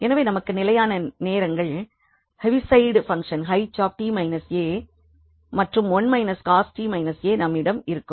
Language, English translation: Tamil, So, we have constant times the Heaviside function t minus a and 1 minus cos t minus a